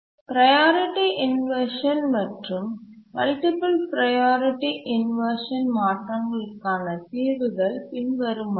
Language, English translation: Tamil, Now let's see what are the solutions for the priority inversion and multiple priority inversions